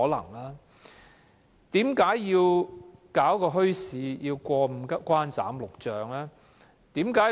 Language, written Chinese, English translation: Cantonese, 為何設立一個墟市，要過五關、斬六將？, Why are there so many barriers to setting up bazaars?